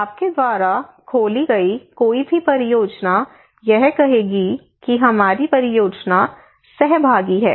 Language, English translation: Hindi, Any project you open they would say that our project is participatory